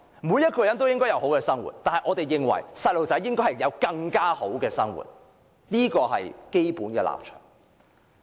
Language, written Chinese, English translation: Cantonese, 每個人也應該有好的生活，但我們認為兒童應有更好的生活，這是基本立場。, Everyone should enjoy a good life but we consider that children should be provided with a better life and this is our basic stance